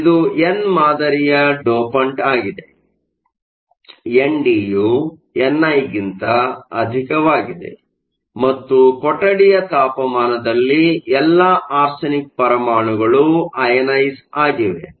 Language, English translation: Kannada, So, it is an n type dopant, we also see that n d is much greater than n i and at room temperature all the arsenic atoms are ionized